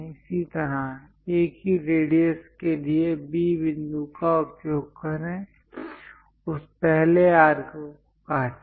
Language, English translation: Hindi, Similarly, use B point for the same radius; cut that first arc